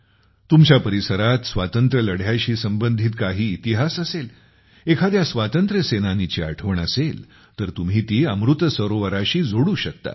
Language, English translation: Marathi, If there is any history related to freedom struggle in your area, if there is a memory of a freedom fighter, you can also connect it with Amrit Sarovar